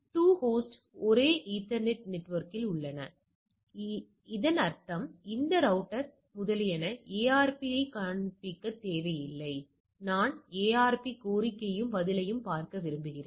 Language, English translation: Tamil, The 2 host are on the same ethernet network, so that means, it does not require those router etcetera shows the ARP, I want to look at the ARP request and response